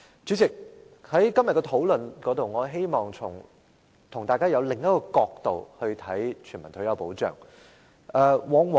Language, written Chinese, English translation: Cantonese, 主席，在今天的討論中，我希望與大家從另一個角度來看全民退休保障。, President in this discussion today I hope Members can consider universal retirement protection from another angle